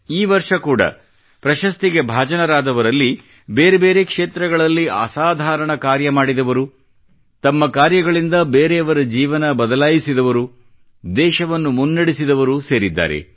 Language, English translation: Kannada, This year too, the recipients comprise people who have done excellent work in myriad fields; through their endeavour, they've changed someone's life, taking the country forward